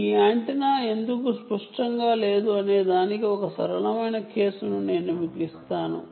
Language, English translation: Telugu, i will give you one simple case of how the user why is this antenna not symmetrical